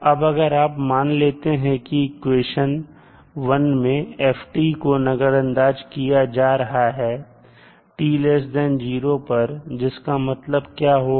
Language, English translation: Hindi, Now, if you assume that in equation 1, if you assume that in equation 1, ft is ignored for time t less than 0, that means what you are doing